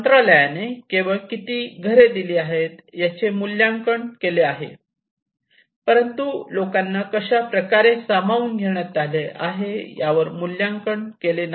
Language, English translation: Marathi, The Ministry is only evaluate how many houses they have provided but not on how they have been accommodated